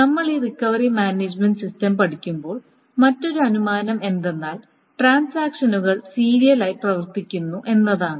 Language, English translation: Malayalam, And one other assumption that we do when we study this recovery management system is that the transactions run serially